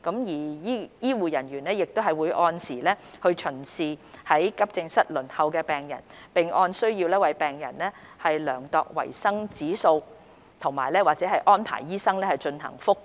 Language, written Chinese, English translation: Cantonese, 醫護人員亦會按時巡視於急症室輪候的病人，並按需要為病人量度維生指數或安排醫生進行覆檢。, They will also regularly attend to these patients and measure their vital signs or arrange doctors to review their conditions as necessary